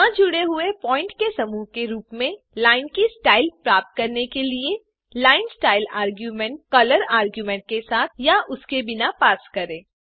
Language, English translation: Hindi, To get the style of line as bunch of points not joined, pass the linestyle argument with or without color argument